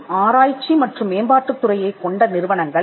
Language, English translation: Tamil, And companies which have an research and development department